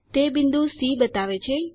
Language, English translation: Gujarati, It shows point C